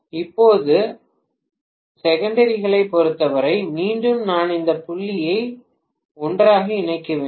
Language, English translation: Tamil, Now as far as secondaries are concerned, again I have to connect this dot and this dot together